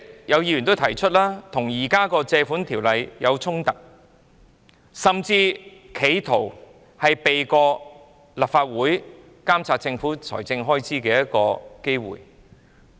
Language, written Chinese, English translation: Cantonese, 有議員已指出，此舉與現行《借款條例》有衝突，甚至是企圖避過立法會監察政府財政開支的機會。, Some Members have pointed out that such an act is in conflict with the existing Loans Ordinance . It is even an attempt to circumvent monitoring by the Legislative Council over government expenditure